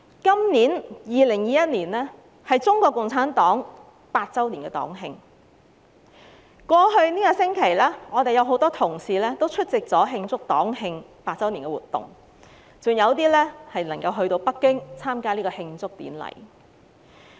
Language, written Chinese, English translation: Cantonese, 今年2021年是中國共產黨100周年黨慶，在過去這星期，我們有多位同事出席了慶祝活動，還有部分議員前赴北京參加慶祝典禮。, The year 2021 marks CPCs 100th anniversary . In the past week a number of our colleagues have attended the celebrative activities and some have travelled to Beijing to attend a celebration ceremony